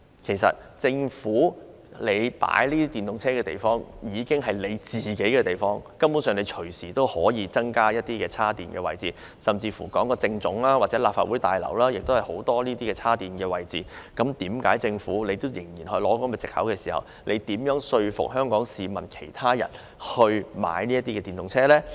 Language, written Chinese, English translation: Cantonese, 其實政府停泊電動車的地方已是政府停車場，根本隨時可以增加充電設施，而在政府總部或立法會大樓也有很多充電設施，為何政府仍然以此為藉口，試問又如何說服香港市民購買電動車呢？, In fact the electric vehicles of the Government are already parked in government car parks where it can provide additional charging facilities at any time . In the Central Government Offices and the Legislative Council Complex alike there are plenty of charging facilities . Why does the Government still use charging issues as excuses?